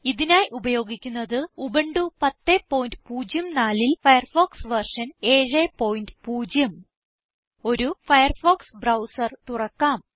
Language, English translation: Malayalam, In this tutorial, we are using Firefox version 7.0 on Ubuntu 10.04 Let us open a Firefox browser